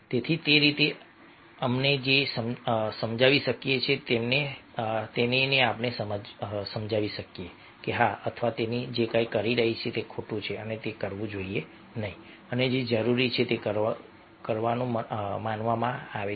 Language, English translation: Gujarati, so like that, we can make him understand, or her understand, that, yes, whatever he or she is doing, its wrong and he is not supposed to do that and whatever is required is supposed to do